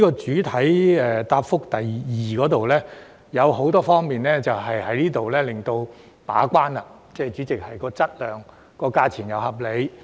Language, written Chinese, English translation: Cantonese, 主體答覆第二部分提到很多方面的把關工作，務求在質量和價錢上均屬合理。, Part 2 of the main reply gives an account of the gate - keeping efforts made in many aspects to ensure that both works quality and tender prices are reasonable